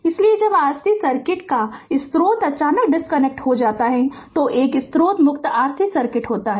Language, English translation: Hindi, So, when dc source of a R C circuit is suddenly disconnected, a source free R C circuit occurs right